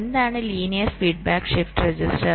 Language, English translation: Malayalam, ok, now let us see what is the linear feedback shift register